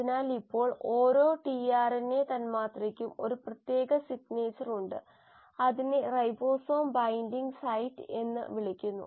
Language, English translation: Malayalam, So now each RNA molecule also has a specific signature which is called as the ribosome binding site